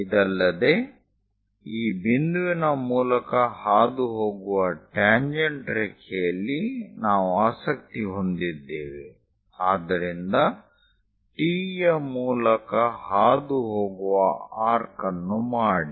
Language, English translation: Kannada, And the point what we are interested is a tangent line which is passing through this point; so make an arc which is passing through T